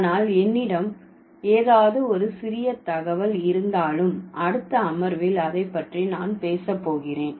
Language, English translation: Tamil, But whatever tiny bit of information I have, I'm going to talk about it in the next session